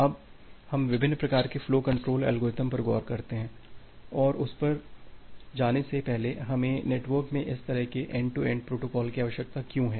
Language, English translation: Hindi, Now, let us look into different type of flow control algorithms and before going to that, why do we require this different kind of end to end protocols in the network